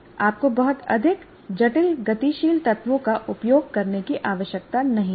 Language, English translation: Hindi, So you don't have to have used too much complex dynamic elements in that